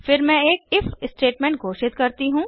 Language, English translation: Hindi, Then I declare an if statement